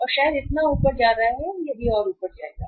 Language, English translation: Hindi, So maybe going up so it will also go up